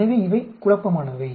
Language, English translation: Tamil, So, these have been confounded